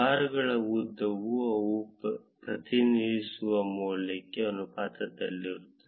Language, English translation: Kannada, The length of the bars is proportional to the value that they represent